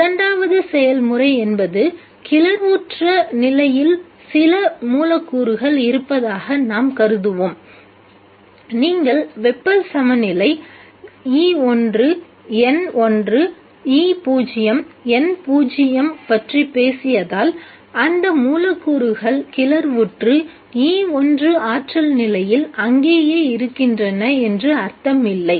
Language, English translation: Tamil, The second process is let us assume that there are some molecules in the excited state and since you talk about thermal equilibrium E1, E0, N1, E0, it doesn't mean that the molecules which are excited and which are in the energy state E1 stay there